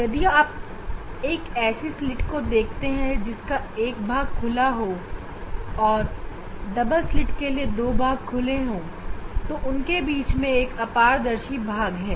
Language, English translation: Hindi, If you consider a slit, it has an open part say that is a and the for double slit this two open part and this in between there is an opaque part